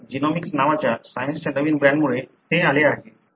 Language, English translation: Marathi, So, this has come, because of a new brand of Science called as genomics